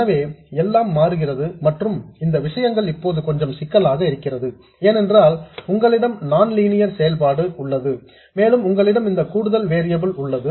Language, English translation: Tamil, So, everything changes and these things are now a little more cumbersome because you have a nonlinear function and you also have this additional variable